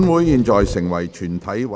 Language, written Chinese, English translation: Cantonese, 現在成為全體委員會。, Council became committee of the whole Council